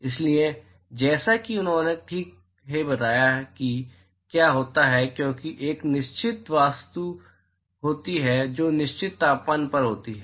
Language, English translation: Hindi, So, as he rightly pointed out what happens is because the there is a certain object which is at certain temperature